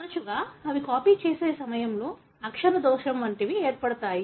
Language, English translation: Telugu, Often they are caused as something like typo during copying